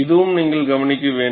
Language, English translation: Tamil, This is the observation